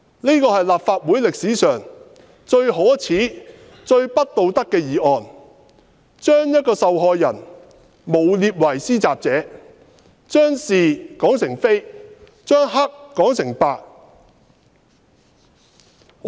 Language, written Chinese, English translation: Cantonese, 這是立法會歷史上最可耻、最不道德的議案，將一名受害人誣衊為施襲者，將是說成非，將黑說成白。, This is the most shameful and immoral motion in the history of the Legislative Council . It smears the victim as the attacker . It turns right into wrong and black into white